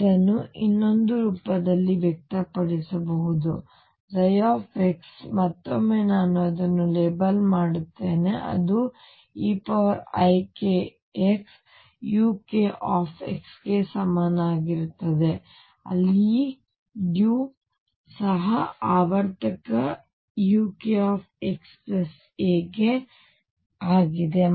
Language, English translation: Kannada, This can be expressed in another form that psi x again I label it as k is equal to e raise to i k x u k x where u is also periodic u k a plus x